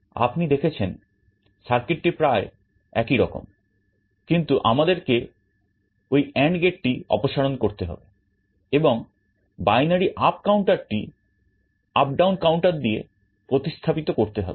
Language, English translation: Bengali, You see the circuit looks quite similar, but we have remove that AND gate, and we have replaced the binary up counter by an up/down counter